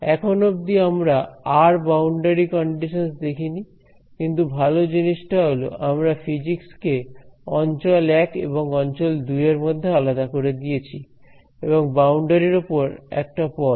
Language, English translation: Bengali, Now, even so far we have yet to encounter r boundary conditions so, but the good thing is that we have separated the physics into region 1 region 2 and one term on the boundary